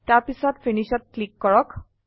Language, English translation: Assamese, Then click on Finish